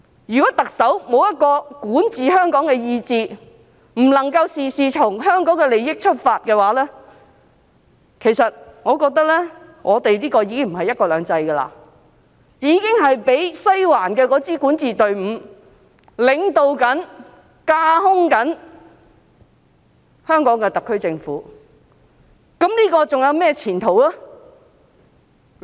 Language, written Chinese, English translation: Cantonese, 如果特首欠缺管治香港的意志，不能夠事事從香港的利益出發，我覺得這個已經不是"一國兩制"，已經是被西環的管治隊伍領導和架空的香港特區政府，這樣還有甚麼前途可言呢？, If the Chief Executive lacks the will to govern Hong Kong and cannot do anything for the interests of Hong Kong people I think this is not one country two systems any more but a Hong Kong SAR Government being taken over and overridden by the ruling team in the Western District . What future will Hong Kong hold?